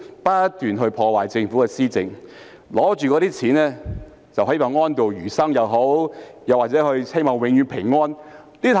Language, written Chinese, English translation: Cantonese, 他們不斷破壞政府的施政，但卻可領着長俸安度餘生或希望永遠平安過活。, While they are undermining the governance of the Government they are using the pensions received to lead or seek to lead live peacefully for the rest of their life